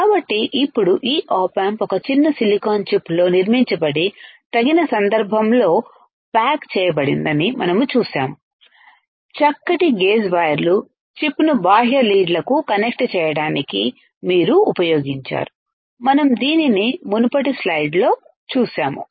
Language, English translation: Telugu, So, now we see this op amp is fabricated on a tiny silicon chip and packaged in a suitable case, fine gauge wires have you use used to connect the chip to the external leads, we have seen this in the previous slide